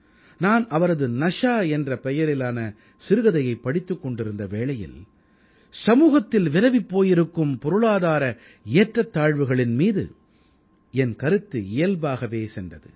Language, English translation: Tamil, While reading one of his stories 'Nashaa', I couldn't help but notice the scourge of economic disparity plaguing society